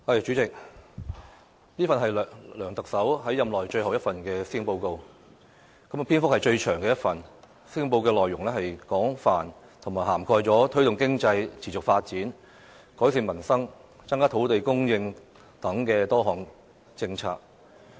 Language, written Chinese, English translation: Cantonese, 主席，這份是梁特首在任內最後一份施政報告，亦是篇幅最長的一份。施政報告的內容廣泛，涵蓋了推動經濟持續發展、改善民生、增加土地供應等多項政策。, President this is the last Policy Address delivered by the Chief Executive LEUNG Chun - ying in his term of office and is the lengthiest ever covering a wide array of issues including various policies on promoting sustainable economic development improving peoples livelihood increasing land supply